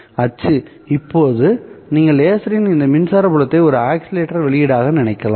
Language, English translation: Tamil, For now you can think of this electric field of the laser as an oscillator output